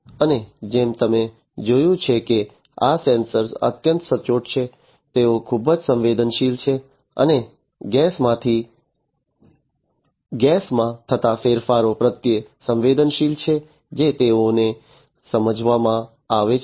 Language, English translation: Gujarati, And as you have seen that these sensors are highly accurate, they are very much sensitive, and sensitive to the changes in the gas that they are supposed to; that they are supposed to sense